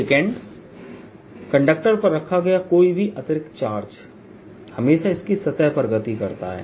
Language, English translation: Hindi, as a consequence number two, any extra charge put on a conductor always moves to s surface